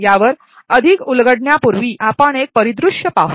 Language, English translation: Marathi, Before we unravel more on this, let us look at a scenario